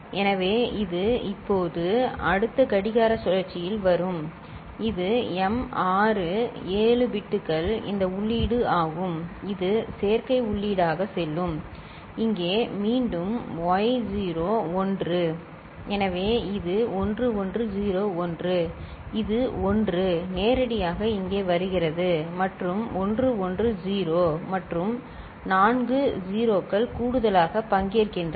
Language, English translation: Tamil, So, this will be now coming here in the next clock cycle and this is the input this m naught to m6 7 bits will go as adder input right and here again y naught is 1 so, this is 1101 right, this 1 is coming directly over here and 110 and four 0’s that is participating in the addition